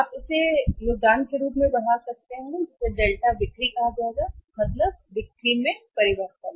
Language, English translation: Hindi, You can call it as a contribution also incremental contribution that will be called as Delta sales, change in sales